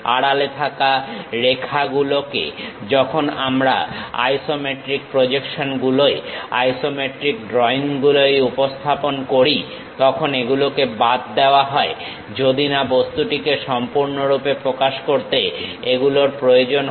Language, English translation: Bengali, Regarding hidden lines when we are representing on isometric projections; in isometric drawings, hidden lines are omitted unless they are absolutely necessary to completely describe the object